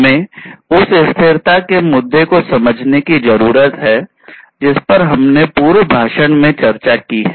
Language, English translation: Hindi, So, we need to understand the sustainability issue that we have discussed in the previous lecture